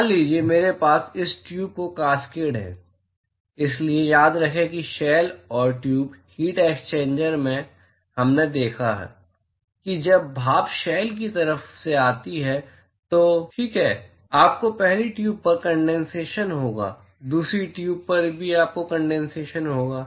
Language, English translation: Hindi, Suppose I have cascade of this tube; so, remember that in the shell and tube heat exchanger, we saw that when steam comes through the shell side ok; you will have condensation on the first tube, you will also have condensation on the second tube